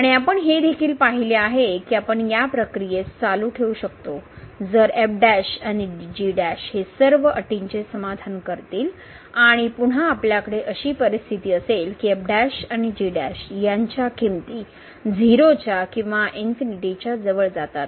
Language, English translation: Marathi, And we have also seen that we can continue this process provided that all the conditions on this prime and prime satisfies and again we have the situation that this prime and prime both they go to 0 or they go to infinity